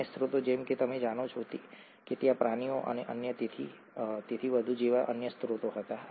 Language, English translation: Gujarati, The other sources such as you know earlier there used to be other sources such as animals and so on